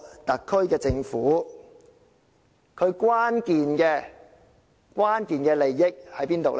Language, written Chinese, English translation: Cantonese, 特區政府的關鍵利益在哪裏？, Where lies the key interest of the SAR Government?